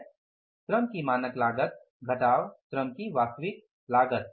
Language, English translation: Hindi, Standard cost of labor minus actual cost of labor